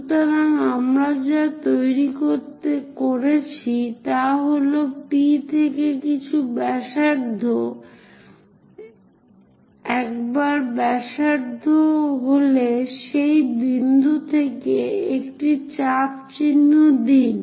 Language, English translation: Bengali, So, what we have constructed is, from P mark some radius, once radius is there from that point mark an arc